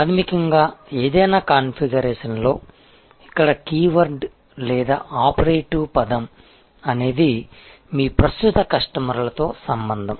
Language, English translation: Telugu, Fundamentally in whatever maybe the configuration, the keyword here or operative word here is relationship, relationship with your existing customers